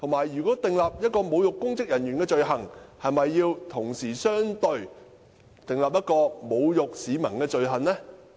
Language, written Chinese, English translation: Cantonese, 如果訂立侮辱公職人員的罪行，是否應該同時相對地訂立侮辱市民的罪行？, In case the offence of insulting public officers is created is it necessary to create a corresponding offence of insulting members of the public?